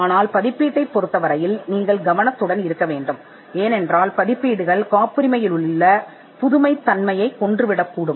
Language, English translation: Tamil, But publication you have to be careful because the publication can kill the novelty aspect of a patent